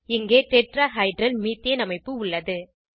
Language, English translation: Tamil, Here is a slide for the Tetrahedral Methane structure